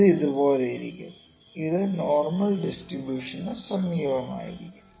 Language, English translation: Malayalam, It would be somewhere like this, it will be close to the normal distribution, ok